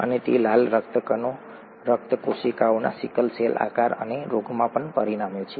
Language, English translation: Gujarati, And it also results in a sickle cell shape of the red blood cells and the disease